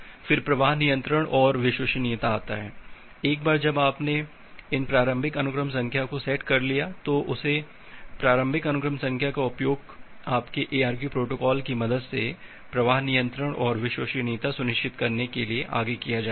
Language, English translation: Hindi, Then comes the flow control and reliability, once you have set up these initial sequence number then that initial sequence number will be used further to ensure the flow control and reliability with the help of your ARQ protocols